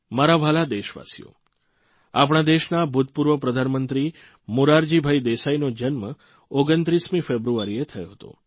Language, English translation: Gujarati, My dear countrymen, our former Prime Minister Morarji Desai was born on the 29th of February